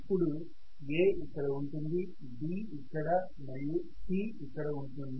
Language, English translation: Telugu, Now I have of course A here, B here and I am going to have C here fine